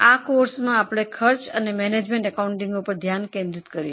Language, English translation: Gujarati, In this particular course we are going to focus on cost and management accounting